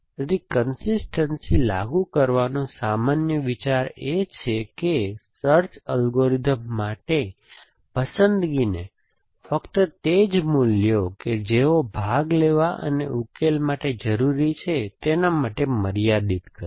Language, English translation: Gujarati, So, the general idea of enforcing consistency is to limit the choice is a available to a search algorithm, to only those which are like you to participating and solutions